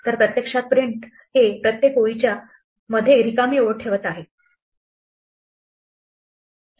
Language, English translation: Marathi, So, actually print is putting out to blank lines for each of these